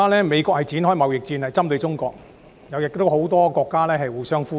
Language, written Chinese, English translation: Cantonese, 美國現正針對中國發動貿易戰，很多國家也與美國互相呼應。, By working in concert with many countries the United States is now waging a trade war on China